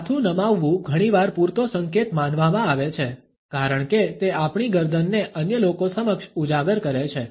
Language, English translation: Gujarati, Tilting the head is often considered to be a sufficient signal, because it exposes our neck to other people